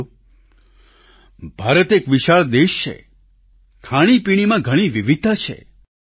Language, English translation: Gujarati, Friends, India is a vast country with a lot of diversity in food and drink